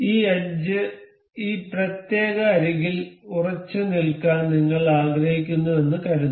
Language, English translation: Malayalam, Suppose we want to we want this edge to stick on this particular edge